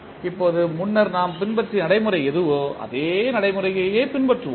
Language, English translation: Tamil, Now, what procedure we followed previously we will just use that procedure